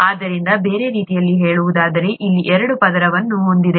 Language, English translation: Kannada, So in other words, it has a double layer here